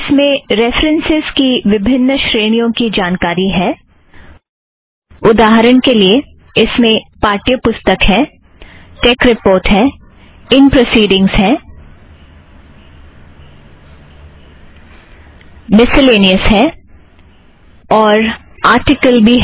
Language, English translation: Hindi, It has reference information under different categories, for example, it has book, tech report, in proceedings, miscellaneous, as well as article